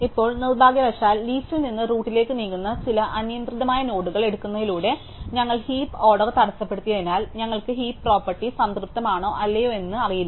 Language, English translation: Malayalam, Now, unfortunately because we are disrupt the heap order by doing this taking some arbitrary node from leaf moving into the root, we do not know whether we have the heap property satisfied or not